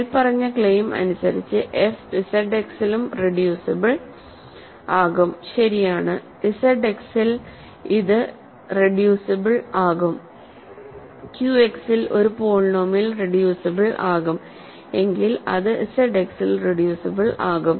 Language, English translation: Malayalam, By the above claim f is also reducible in Z X, right, it is reducible in Z X claim is if a polynomial is reducible in Q X, then it is reducible in Z X